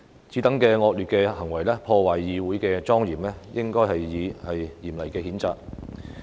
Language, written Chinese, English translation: Cantonese, 此等惡劣行為破壞議會的莊嚴，應該予以嚴厲譴責。, This nasty behaviour undermining the solemnity of the Council should be severely reprimanded